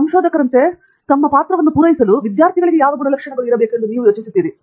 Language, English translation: Kannada, What characteristics do you think, students should have so that their role can be fulfilled as a researcher